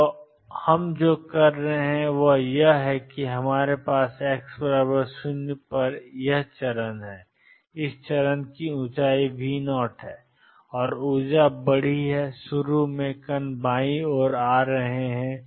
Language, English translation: Hindi, So, what we are doing is we have this step at x equals 0 the height of this step is V 0 and the energy is large and initially the particles are coming from the left